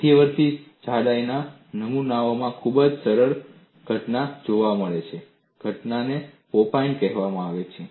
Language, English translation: Gujarati, In intermediate thickness specimens, a very nice phenomenon is observed; the phenomenon is called pop in